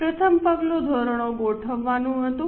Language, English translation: Gujarati, The first step was setting up of standards